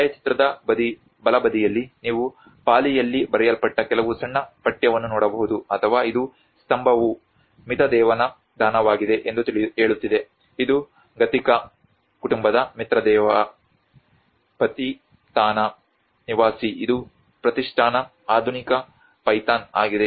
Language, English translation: Kannada, \ \ \ On the right hand side in the photograph, you can see some small text which has been written in either Pali or and this is saying that the pillar is the donation of Mitadeva which is a Mitradeva of the Gadhika family, a resident of Patithana which is Pratishthana the modern Python